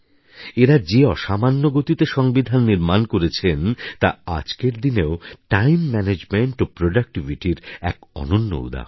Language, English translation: Bengali, The extraordinary pace at which they drafted the Constitution is an example of Time Management and productivity to emulate even today